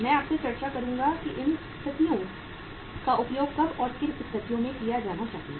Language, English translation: Hindi, I will discuss with you that when in what situations these methods should be used